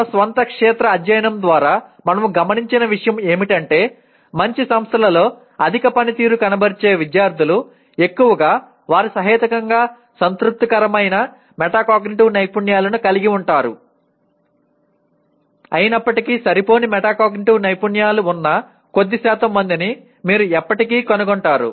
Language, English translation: Telugu, What we observed through our own field study is that high performing students in good institutions, mostly they have possibly reasonably satisfactory metacognitive skills though you will still find small percentage of people with inadequate metacognitive skills